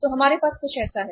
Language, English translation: Hindi, So we have something like this